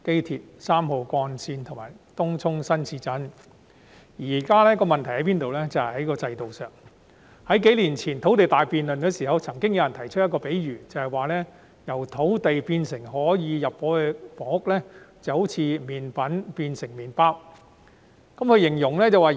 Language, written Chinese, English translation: Cantonese, 現時的問題出於制度上，在數年前進行土地大辯論的時候，有人提出一個比喻：由土地變成可以入伙的房屋，就好像麵粉變成麵包一樣。, There are institutional problems at present . During the grand debate on land supply conducted a few years ago someone made an analogy Turning land into housing units for occupation is just like turning flour into bread